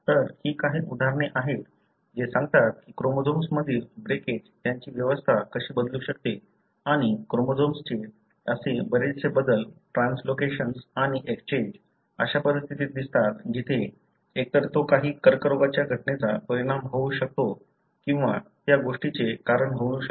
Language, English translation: Marathi, So, these are some of the examples how breakage in the chromosomes can alter the way they are arranged and majority of such changes, translocations and exchange of the chromosomes are seen in conditions where either i it is the consequence of some cancerous event or it could be the cause of the event